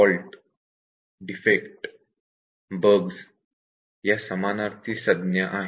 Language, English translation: Marathi, Fault, defect and bug, these are synonyms